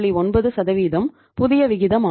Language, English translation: Tamil, 9% is the new ratio